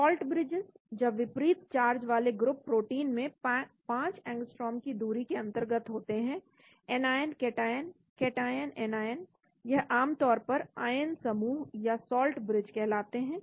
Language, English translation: Hindi, Salt bridges when oppositely charged groups in proteins are within 5 angstroms , anion cation, cation, anion they are generally referred to as ion pairs or salt bridges